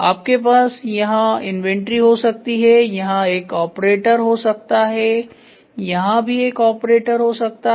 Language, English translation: Hindi, So, you can have inventory here, you can have a operator here and you can have an operator here